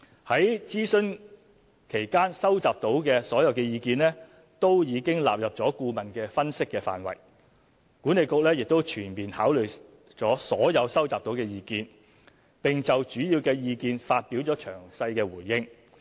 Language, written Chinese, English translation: Cantonese, 在諮詢期間收集到的所有意見都已納入顧問的分析範圍，管理局亦已全面考慮所有收集到的意見，並就主要意見發表了詳細回應。, All views collected during the consultation had been incorporated into the scope of analysis of the consultant . WKCDA had fully considered all views and given a detailed response on the major ones